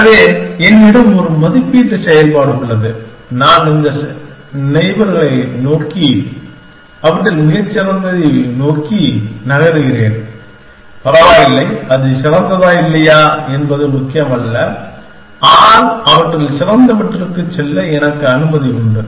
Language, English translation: Tamil, So, I have a valuation function and I generate all this neighbors and just move to the best amongst them, does not matter, whether it is better or not, but I am allowed to move to the best amongst them